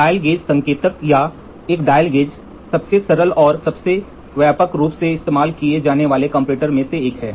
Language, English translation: Hindi, The dial gauge indicator or a dial gauge is one of the simplest and the most widely used comparator